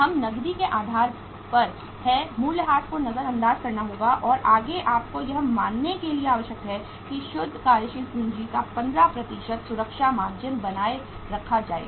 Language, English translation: Hindi, That is on the cash basis we have to ignore the depreciation and further it is given in your working you are required to assume that a safety margin of 15% of the net working capital will be maintained